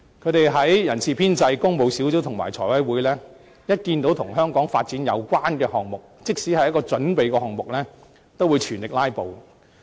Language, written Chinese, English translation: Cantonese, 無論在人事編制小組委員會、工務小組委員會或財務委員會，只要看到跟香港發展有關的項目，即使只是準備項目，他們也會全力"拉布"。, Members advocating the concept will filibuster at full strength whenever development items are scheduled for discussion at meetings of the Establishment Subcommittee Public Works Subcommittee or Finance Committee even though they only involve project preparation works